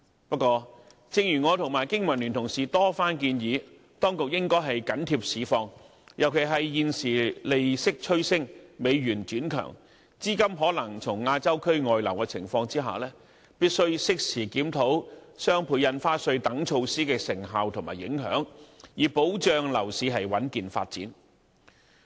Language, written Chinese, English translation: Cantonese, 不過，正如我和經民聯同事多番建議，當局應緊貼市況，尤其是在現時利息趨升、美元轉強、資金可能從亞洲區外流的情況下，必須適時檢討雙倍印花稅等措施的成效和影響，以保障樓市穩健發展。, However as repeatedly suggested by me and my fellow colleagues from the Business and Professionals Alliance for Hong Kong BPA the authorities should keep abreast of market conditions . In particular given an upward trend in interest rates a stronger United States dollar and a possible outflow of capital from the Asian region at present the authorities must review the effectiveness and implications of such measures as DSD in a timely manner to ensure the stable and healthy development of the property market